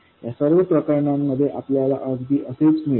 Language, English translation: Marathi, In all these cases we will get exactly the same